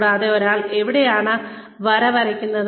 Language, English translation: Malayalam, And, where does one draw the line